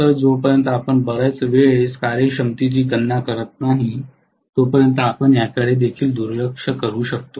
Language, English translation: Marathi, In fact, unless we are calculating the efficiency very often we will even neglect this, very often we neglect this